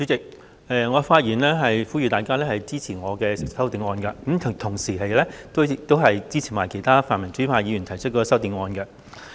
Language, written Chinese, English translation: Cantonese, 代理主席，我發言呼籲大家支持我的修正案，同時亦支持其他泛民主派議員提出的修正案。, Deputy Chairman I speak to urge Members to support my amendment as well as the amendments proposed by other pan - democratic Members